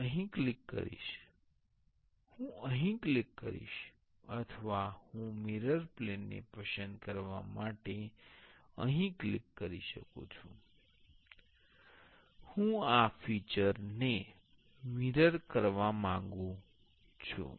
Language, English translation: Gujarati, I will click here; I will click here or I can click here to select the mirror plane, I want to mirror this feature to mirror